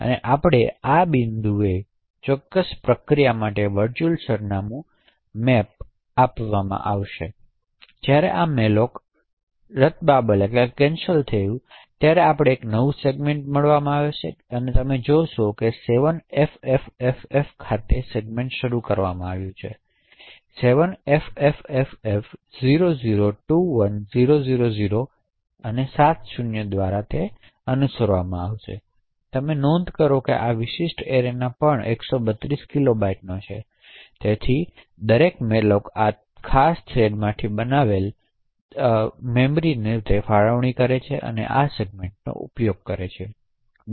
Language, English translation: Gujarati, Now we will look at the virtual address map for this particular process at the point when this malloc has got invoked we will see that a new segment has just been created, the segment starts at 7ffff followed by 7 zeros to 7 ffff0021000, so you note that this particular region is also of 132 kilobytes, so every malloc that gets created from this particular thread use this segment for its allocation